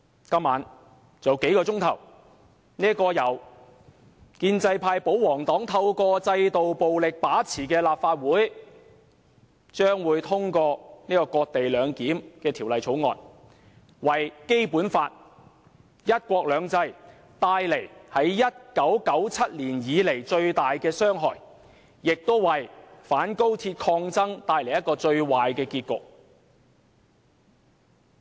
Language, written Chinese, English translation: Cantonese, 今晚，還有數小時，由建制派、保皇黨透過制度暴力來把持的立法會，將會通過這項"割地兩檢"的《條例草案》，對《基本法》和"一國兩制"造成自1997年來最大的傷害，亦為反高鐵抗爭帶來最壞的結局。, Just several hours later tonight this Legislative Council dominated by the institutional tyranny of pro - establishment and royalist camps will pass this cession - based co - location bill . This will deal the biggest blow ever to the Basic Law and one country two systems since 1997 and bring the anti - XRL campaign to a most tragic end